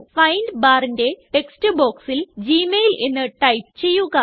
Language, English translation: Malayalam, In the text box of the Find bar, type gmail